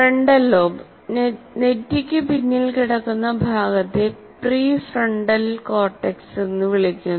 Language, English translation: Malayalam, Frontal lobe, the part that lying behind the forehead is called prefrontal cortex